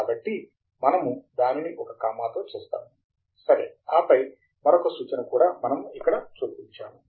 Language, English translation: Telugu, So, we will do that one comma, ok and then, as is reference also we would insert here